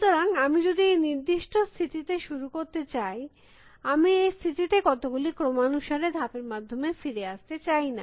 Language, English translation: Bengali, So, if I am going to start this particular state, I do not want to come back to this state by going through a sequence of moves